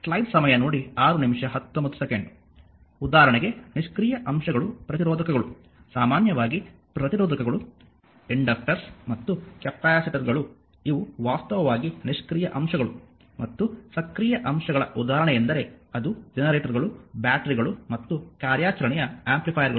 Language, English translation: Kannada, For example that passive elements are resistors in general resistors, inductors and capacitors these are actually passive elements right and example of active elements are it is generators, batteries and operational amplifiers